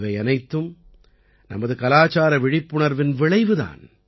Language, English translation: Tamil, All this is the result of our collective cultural awakening